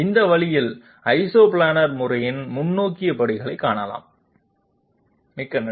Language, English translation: Tamil, And this way the forward steps in Isoplanar method can be found out, thank you very much